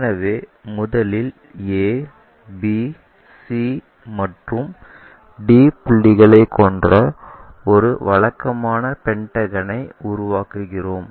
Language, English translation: Tamil, So, first of all, we make a regular pentagon having a, b, c and d points